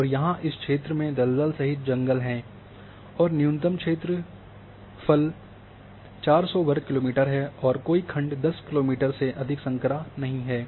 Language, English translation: Hindi, And here these are the areas that these areas are including forest, are including swamp, and minimum area having 400 square kilometer and no section narrower than 10 kilometer